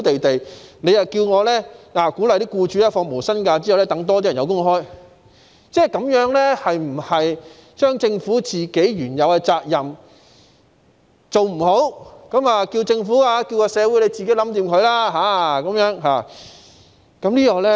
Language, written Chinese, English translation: Cantonese, 他們有工作，局長卻鼓勵僱主要求他們放無薪假，讓更多人有工作，這樣是否即政府未盡自己原有的責任，便叫社會自行解決？, Buddy how can he drag them down? . They are in employment but the Secretary encourages employers to request them to take no - pay leave so that more people can have a job . As such is the Government leaving the problem to society without fulfilling its due responsibility?